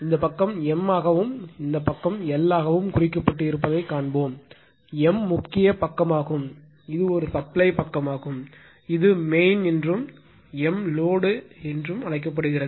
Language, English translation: Tamil, You will see that this side is marked as M and this side is marked as an L right; M is the main side there is a supply side this is called main and M is the load side